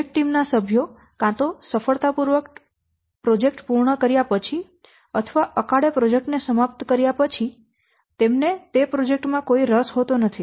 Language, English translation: Gujarati, The project team members after either successfully completing the project or prematurely terminating the project, they don't have any interest in that project